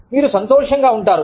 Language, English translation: Telugu, You will feel happy